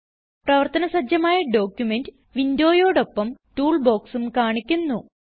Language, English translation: Malayalam, Toolbox is displayed along with the active document window